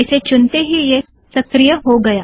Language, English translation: Hindi, The moment I selected this, this got activated